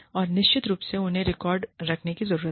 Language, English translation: Hindi, And, of course, we need to keep records